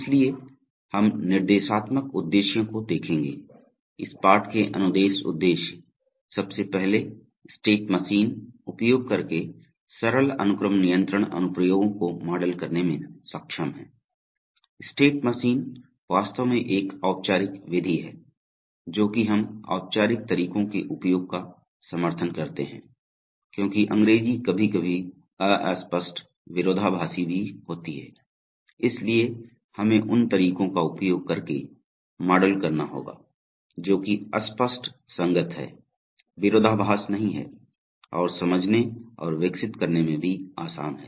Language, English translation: Hindi, So we will look at the instructional objectives, the instruction objectives of this lesson are firstly to be able to model simple sequence control applications using state machines, state machine is actually a formal method and we advocate the use of formal methods because English can be very ambiguous sometimes contradictory also, so we have to model it using methods which have, which are unambiguous consistent, do not contain contradictions and are also easy to understand and develop